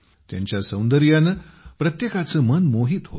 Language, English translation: Marathi, Now their beauty captivates everyone's mind